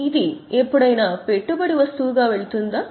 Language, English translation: Telugu, Will it go as investing item any time